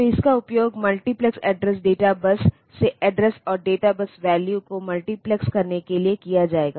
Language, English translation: Hindi, So, this will be used to de multiplex the address and data bus values from the multiplexed address data bus